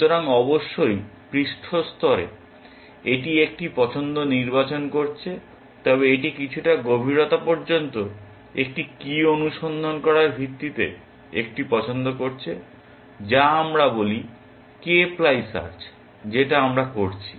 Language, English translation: Bengali, So, of course, on the surface level it is selecting a choice, but it is making a choice on the basis of having searched a key up to some depth, which is let us say k ply search we are doing